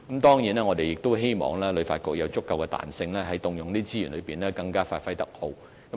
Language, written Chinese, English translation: Cantonese, 當然，我們亦希望旅發局有足夠彈性運用這些資源，以發揮更佳功效。, Of course we also hope that HKTB has sufficient flexibility in using these resources to achieve the best results